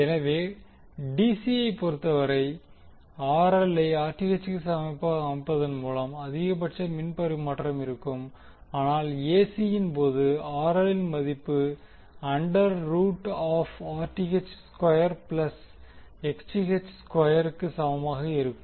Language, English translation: Tamil, So, in case of DC, the maximum power transfer was obtained by setting RL is equal to Rth, but in case of AC the value of RL would be equal to under root of Rth square plus Xth square